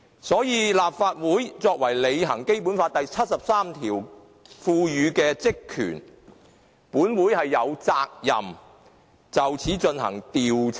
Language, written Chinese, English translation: Cantonese, 所以，立法會為履行《基本法》第七十三條賦予的職權，是有責任就此事進行調查的。, Therefore in order to fulfil the powers and functions vested with the Legislative Council under Article 73 of the Basic Law we are duty - bound to investigate the matter